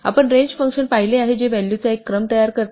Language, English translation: Marathi, We have seen the range function which produces a sequence of values